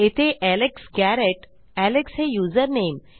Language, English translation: Marathi, So thats Alex Garrett and username alex